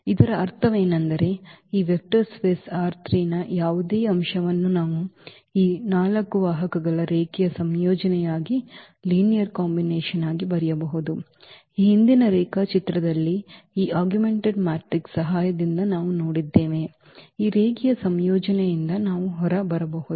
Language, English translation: Kannada, The meaning was that any element of this vector space R 3 we can write as a linear combination of these 4 vectors, this is what we have seen in previous lecture with the help of this augmented matrix which we can get out of this linear combination equal to this v 1 v 2 v 3